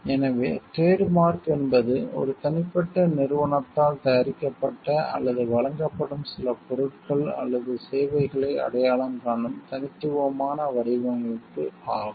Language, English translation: Tamil, So, trademark is the distinctive design which identifies certain goods or services produced or provided by an individual company